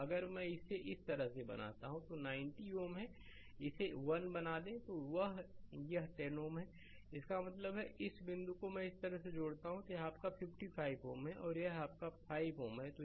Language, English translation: Hindi, So, if I make it like this so, this is 90 ohm make it 1, this is 10 ohm right; that means, this point I connect like this and this is your 55 ohm and this is your 5 ohm right